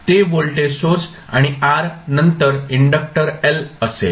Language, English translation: Marathi, That would be the voltage source and then r and then inductor l